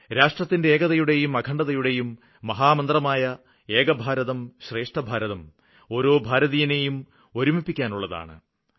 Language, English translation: Malayalam, How can we make this mantra of Ek Bharat Shreshtha Bharat One India, Best India that connects each and every Indian